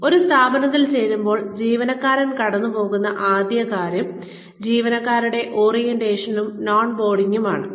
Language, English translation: Malayalam, The first thing, that employees go through, when they join an organization is, employee orientation and on boarding